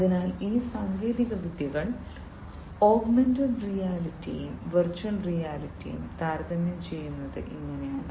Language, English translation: Malayalam, So, this is how these technologies compare augmented reality and virtual reality